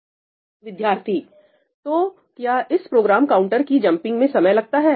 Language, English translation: Hindi, So, does this jumping of the Program Counter cost time